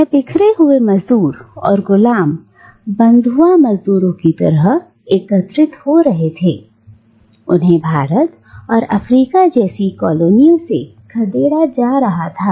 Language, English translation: Hindi, And these dispersed labourers and slaves and sort of bonded labourers, they were gathering, they were being dispersed from colonies like India and Africa